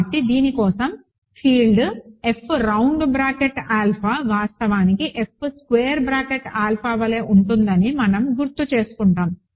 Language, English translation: Telugu, So, for this we note that, we recall that the field F round bracket alpha is actually same as F squared bracket alpha